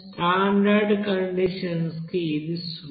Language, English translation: Telugu, For standard condition it is zero